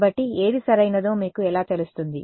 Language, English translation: Telugu, So, how do you know which one is the correct one